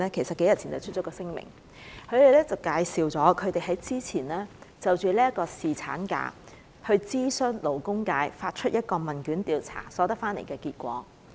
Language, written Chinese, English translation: Cantonese, 數天前，他們發出了一份聲明，介紹了之前就侍產假諮詢勞工界所發出的問卷的調查結果。, A few days ago they made a statement to announce the results of a questionnaire survey on the views of the labour sector on paternity leave